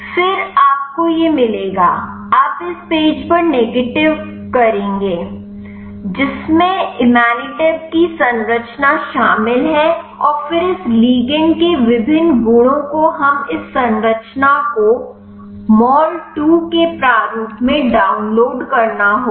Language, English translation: Hindi, Then you will get to this you will navigate to this page, which includes the structure of the imatinib and then the various properties of this ligand we have to download this structure in the format of mol 2